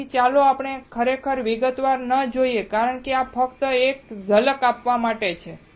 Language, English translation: Gujarati, So, let us not go into really detail because this just to give you a glimpse